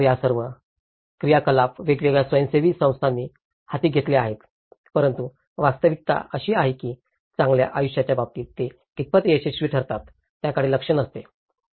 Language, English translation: Marathi, So, these all activities have been taken up by different NGOs but the reality is the assessments does not focus on how far they are successful in terms of a better lives